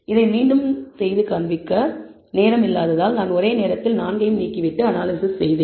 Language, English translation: Tamil, And redo this because of lack of time, I have just removed all 4 at the same time and then done the analysis